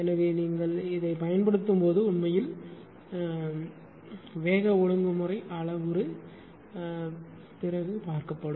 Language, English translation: Tamil, So, while you use this is actually called speed regulation parameter later will see